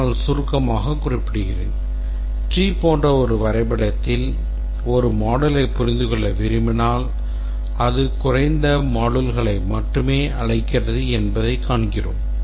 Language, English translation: Tamil, But then let me just mention briefly that in a tree like diagram if we want to let's say understand this module then we see that we see that it calls only the lower modules and maybe we'll have to look at this too